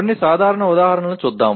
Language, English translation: Telugu, Let us look at some simple examples